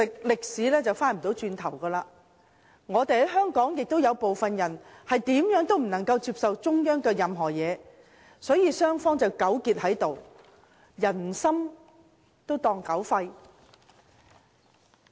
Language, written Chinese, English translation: Cantonese, 歷史無法回頭，而香港確實有些人無論如何也不接受與中央有關的一切，雙方便糾結在此，把人心當作狗肺。, History cannot be changed and there are indeed people in Hong Kong who reject anything relating to the Central Authorities . As both sides are stuck in a deadlock good intentions are always misunderstood